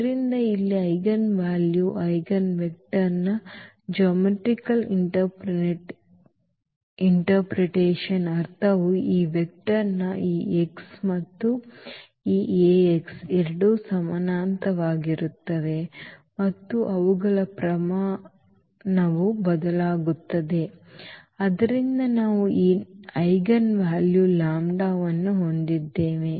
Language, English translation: Kannada, So, here also the geometrical meaning of this eigenvalues eigenvector in general is that of this vector this x and this Ax both are parallel and their magnitude will change and therefore, we have this eigenvalue lambda